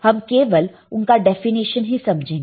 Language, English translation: Hindi, We will just understand the definition